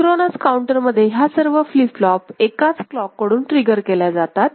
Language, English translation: Marathi, In the synchronous counter, all the flip flops are getting triggered by the same clock, by the same clock ok